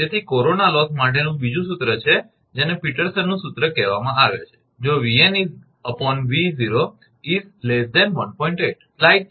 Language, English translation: Gujarati, So, there is another formula for corona loss that is called Peterson’s formula if V n by V 0, your less than 1